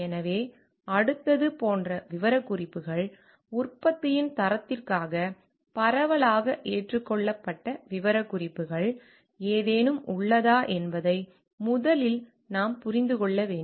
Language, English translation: Tamil, So, next is specifications like, do first we have to understand like whether there any state it is specifications, which is widely accepted for the quality of the product